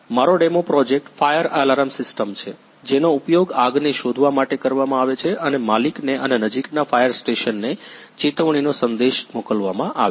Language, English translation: Gujarati, My demo project is fire alarm system, which are used to detect the fire and send an alert the message to owner and the nearest fire station